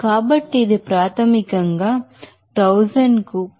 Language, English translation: Telugu, So, this is basically it is given 0